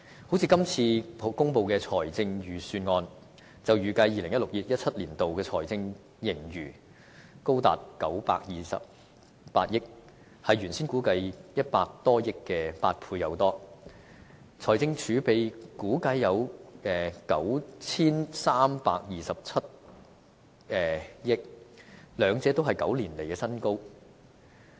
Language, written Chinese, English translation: Cantonese, 就像今次公布的預算案，就預計 2016-2017 年度的財政盈餘高達928億元，是原先估計100多億元的8倍多，財政儲備估計有 9,327 億元，兩者都是9年來的新高。, It forecasts a surplus of up to 92.8 billion in 2016 - 2017 more than eight times the original estimation of over 10 billion . Fiscal reserves are expected to reach 932.7 billion . Both have scaled new heights in nine years